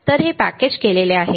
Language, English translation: Marathi, So, it is a packaged